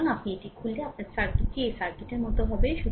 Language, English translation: Bengali, So, if you open it your circuit will be like this circuit will be like this